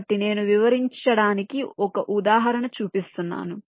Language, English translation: Telugu, ok, so i am showing an example to illustrate